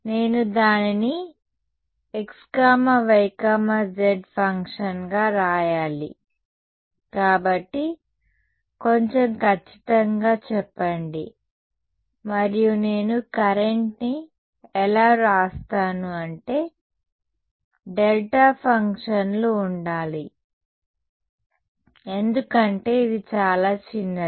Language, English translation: Telugu, I have to write it as a function of xyz; so, be little bit more precise and how I write the current has to be there have to be delta functions because it is very very small right